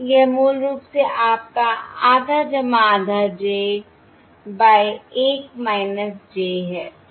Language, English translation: Hindi, this is basically this is equal to half j